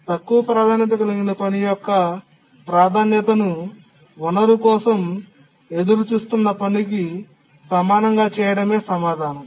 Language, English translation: Telugu, The answer is that make the priority of the low priority task as much as the task that is waiting for the resource